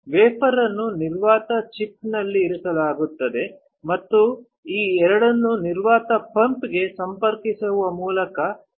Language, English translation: Kannada, The wafer is held on the vacuum chuck and this vacuum is created by connecting these two to a vacuum pump